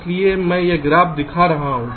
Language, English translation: Hindi, thats why i am showing this graph